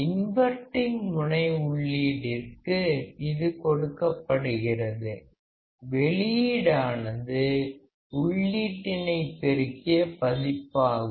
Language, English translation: Tamil, It is applied to the inverting terminal input, output will be multiplied or the amplified version of the input